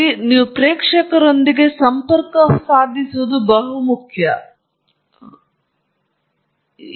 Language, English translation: Kannada, All these are points that I am indicating with respect to connecting with your audience